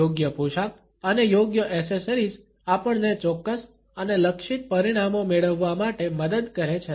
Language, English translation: Gujarati, Correct outfit and appropriate accessories help us to elicit specific and targeted results